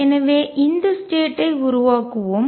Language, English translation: Tamil, So, let us make these states